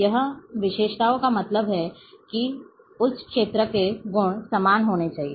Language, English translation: Hindi, Characteristics here means the properties of that field has to be the same